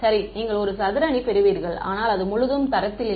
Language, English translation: Tamil, Right you will get a square matrix, but it is not full rank